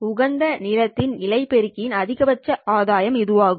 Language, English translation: Tamil, At the optimum length, the gain of the fiber amplifier is maximum